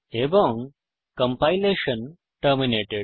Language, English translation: Bengali, And the compilation is terminated